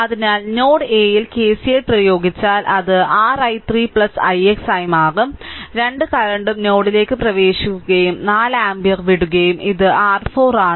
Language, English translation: Malayalam, So, if you apply KCL at node A so it will become your i 3 plus i x dash both current are entering into the node and 4 ampere is leaving and this is your 4 right